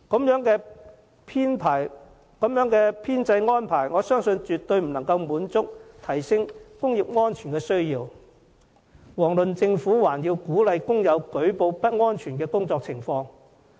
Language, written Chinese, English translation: Cantonese, 如此編制安排，我相信絕對無法滿足需要，提升工業安全，遑論鼓勵工友舉報不安全的工作情況。, Such staff establishment I believe can in no way meet the needs for enhanced occupational safety let alone encouraging workers to report unsafe conditions in workplaces